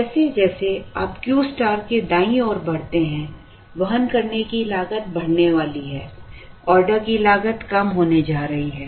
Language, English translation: Hindi, As you move to the right of Q star, the carrying cost is going to increase; the order cost is going to come down